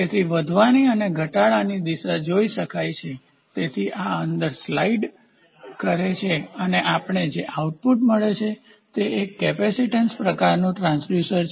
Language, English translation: Gujarati, So, can see the direction of increase and the direction of decrease; so, this fellow slides inside and what we get output is a capacitance type transducer